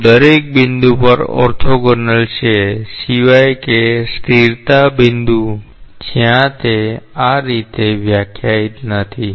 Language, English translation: Gujarati, They are orthogonal at each and every point except for the stagnation point where it is not defined in that way